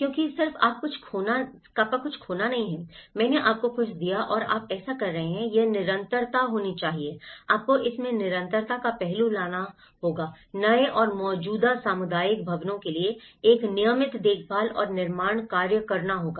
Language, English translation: Hindi, Because it is not just you lost something, I gave you something and you are done so, it has to be continuity, you have to bring that continuity aspect in it, a regular care and construction work for new and existing community buildings